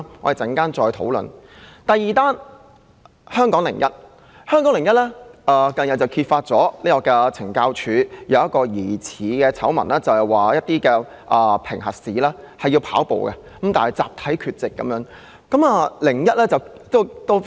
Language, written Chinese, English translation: Cantonese, 第二篇報道則來自《香港01》。該報近日揭發一宗涉及懲教署的疑似醜聞，指署方進行的跑步評核試出現集體缺席的問題。, The second report was published in Hong Kong 01 recently to uncover an alleged scandal relating to the Correctional Services Department CSD in which CSD officers were found collectively absent from the Departments running tests